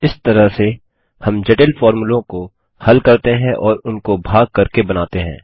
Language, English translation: Hindi, This is how we can break down complex formulae and build them part by part